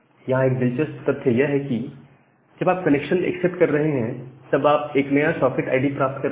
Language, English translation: Hindi, So, here is an interesting fact that whenever you are accepting a connection, you are getting a new socket id